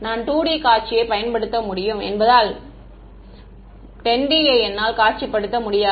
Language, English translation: Tamil, Because I can visualize 2 D I cannot visualize 10 D right